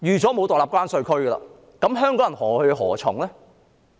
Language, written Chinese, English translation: Cantonese, 那麼香港人何去何從呢？, Then what is the way forward for Hongkongers?